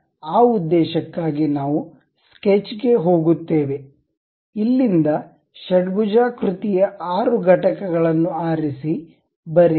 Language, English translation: Kannada, So, for that purpose we go to sketch, pick hexagon 6 units from here draw it